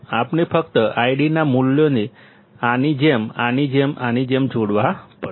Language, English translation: Gujarati, We have to just connect this I D values like this, like this, like this